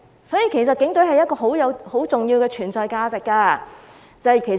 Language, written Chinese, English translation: Cantonese, 所以警隊有很重要的存在價值。, Hence the Police Force has a very important value of existence